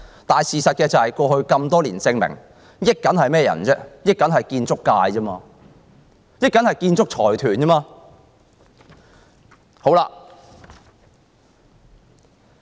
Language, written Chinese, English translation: Cantonese, 但過去多年事實證明，從中獲益的都是建築界、建築財團而已。, However our experience gained over the years proves that the ones to benefit are only the construction sector and construction consortiums